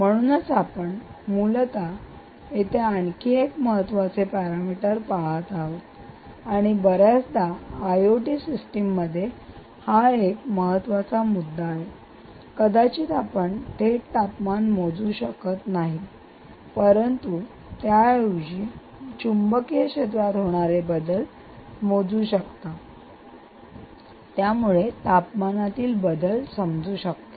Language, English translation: Marathi, so you are essentially looking at another important parameter here, and often in i o t systems, this is a very important point: that you might not really measure the the temperature directly, but instead you may measure change in change in magnetic field corresponds to change in temperature